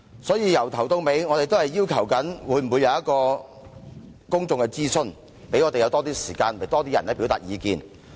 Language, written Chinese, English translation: Cantonese, 所以，我們一直要求進行公眾諮詢，讓我們有更多時間，讓更多人可以表達意見。, This is why we have been advocating the conduct of a public consultation to provide more time for more people to express their views